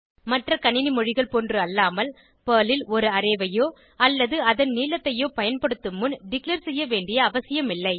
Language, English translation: Tamil, Unlike other programming languages, there is no need to declare an array or its length before using it in Perl